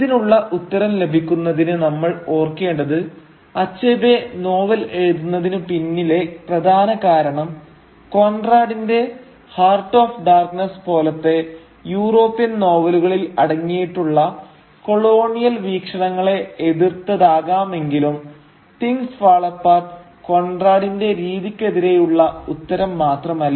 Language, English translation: Malayalam, Now, to get an answer to this question we have to remember that though countering the colonial perspective as it appears in European novels like Conrad’s Heart of Darkness might have been one of the reasons behind Achebe writing his novel, Things Fall Apart is however not just meant as an answer to Conrad’s Heart of Darkness and its portrayal of Africa